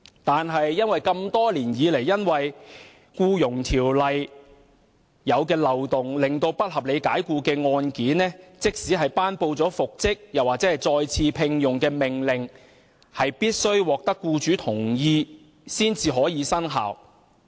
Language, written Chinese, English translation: Cantonese, 然而，多年來，由於《僱傭條例》的漏洞，不合理解僱的個案即使獲頒布復職或再次聘用的命令，也必須獲得僱主同意才能生效。, However over the years due to the loopholes in the Employment Ordinance even if an order for reinstatement or re - engagement was made in a case of unreasonable dismissal the order could not take effect unless with the employers consent